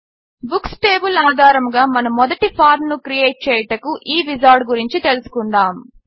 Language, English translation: Telugu, Lets go through this Wizard to create our first form based on the Books table